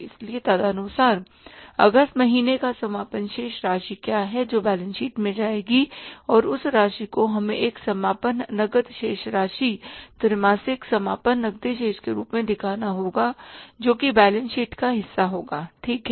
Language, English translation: Hindi, So accordingly what is the closing balance of the month of August that will go in the balance sheet and that amount we have to show as a closing cash balance quarterly closing cash balance that will be the part of the balance sheet